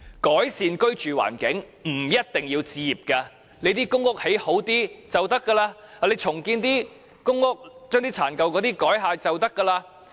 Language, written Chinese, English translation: Cantonese, 改善居住環境，不一定要置業，提升公屋的質素便可以。重建公屋，將殘舊的公屋改建便可。, However improving peoples living environment is not only about home ownership for enhancing the quality of public rental housing by redeveloping dilapidated ones will work too